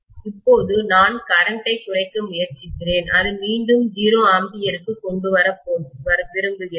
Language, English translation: Tamil, Now I am trying to reduce the current and I want to bring it back to 0 ampere